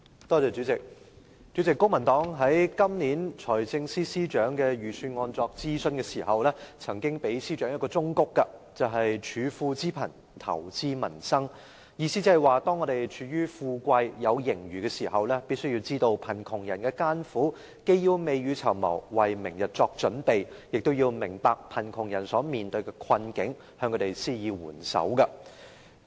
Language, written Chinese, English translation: Cantonese, 代理主席，公民黨在今年財政司司長就財政預算案進行諮詢時，曾經給予司長一個忠告，便是"處富知貧，投資民生"，意思是當我們處於富貴，有盈餘時，必須知道貧窮人的艱苦，既要未雨綢繆，為明天作準備，亦要明白貧窮人所面對的困境，向他們施以援手。, Deputy Chairman during the Financial Secretarys consultation on the Budget this year the Civic Party tendered the Financial Secretary this piece of advice that is Give regard to the poor in times of abundance and invest in peoples livelihood . It means that when we are in times of affluence and enjoying surpluses we must give regard to the plights of the poor . On the one hand we have to prepare for a rainy day yet on the other we should be compassionate towards the poor who are in difficulties and give them a helping hand